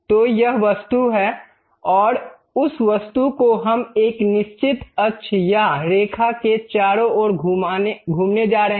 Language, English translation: Hindi, So, this is the object and that object we are going to revolve around certain axis or line